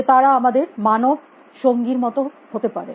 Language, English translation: Bengali, That they could be like human companions to us